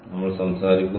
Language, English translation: Malayalam, so we are talking about